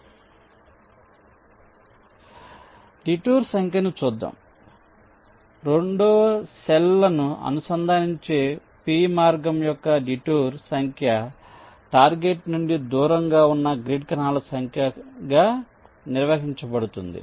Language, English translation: Telugu, so the detour number, let see the detour number of a path, p that connects two cells is defined as the number of grid cells directed away from the target